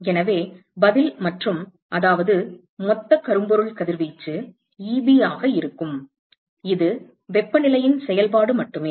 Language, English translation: Tamil, So, the answer is and that is, so, the total blackbody radiation is going to be Eb, it is only a function of temperature